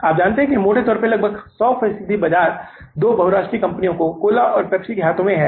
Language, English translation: Hindi, You know that now the largely, almost 100% market is in the hands of the two multinational companies, Coca Cola and Pepsi